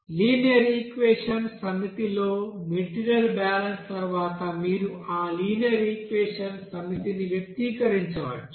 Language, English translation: Telugu, So you can express those set of linear equations after the material balance by this set of linear equations